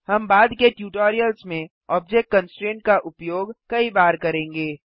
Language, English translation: Hindi, We will be using object constraints many times in later tutorials